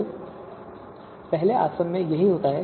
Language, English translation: Hindi, So this is what happens in first distillation